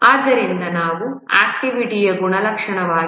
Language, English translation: Kannada, So these are the characteristics of the activity